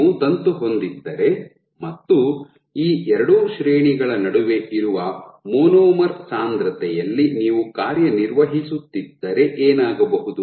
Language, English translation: Kannada, So, if you have a filament and you are operating at the monomer concentration which is in between these two ranges what will happen